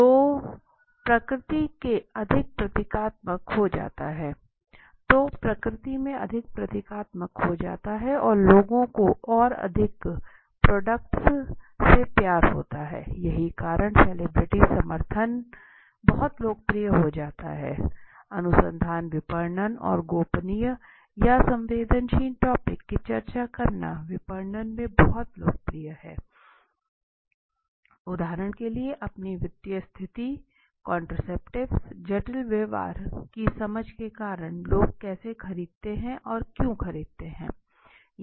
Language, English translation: Hindi, So that becomes more symbolic in nature and people start loving the product more that is how the reason is celebrity endorsement becomes very popular in marketing research okay and marketing discussing of a confidential sensitive or embarrassing topic for example your personal finance right contraceptives detailed understanding of the complicated behavior why how do people buy why do they buy when do they buy